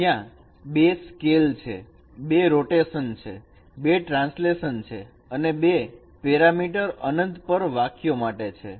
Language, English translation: Gujarati, There are two scales, two rotations, two translations, and two parameters are meant for line at infinity